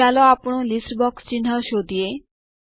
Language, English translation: Gujarati, Let us find our list box icon